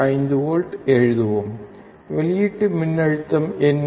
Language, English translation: Tamil, 5 volts, what is the output voltage